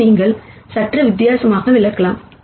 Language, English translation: Tamil, You can also interpret this slightly di erently